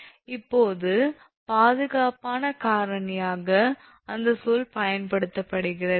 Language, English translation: Tamil, Now, then it factor of safety that term is used